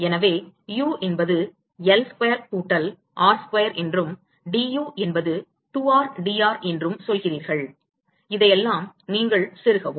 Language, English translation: Tamil, So, you say u is L square plus r square and d u is 2 r d r, you plug in all this